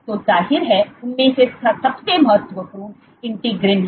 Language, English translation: Hindi, So of course, the most important among them is integrins